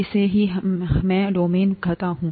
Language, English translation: Hindi, This is what I call as domain